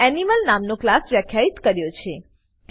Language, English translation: Gujarati, Here I have defined a class named Animal